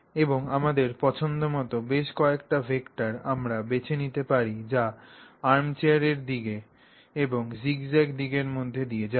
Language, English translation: Bengali, And we have a choice, a range of vectors like this that we can select which all go between the armchair direction and the zigzag direction